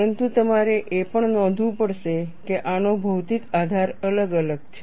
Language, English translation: Gujarati, But you will also have to note, that these have different physical basis